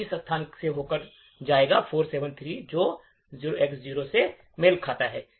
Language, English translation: Hindi, It will go through this location 473 which corresponds to this 0X0